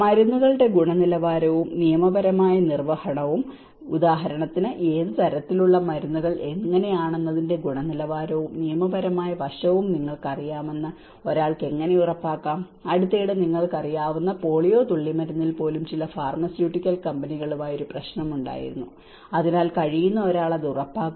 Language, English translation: Malayalam, The quality and legal enforcement of drugs, how one can ensure you know the quality and the legal aspect of how what kind of drugs for instance, recently there was an issue with certain pharmaceutical companies on even the polio drops you know, so one who can ensure it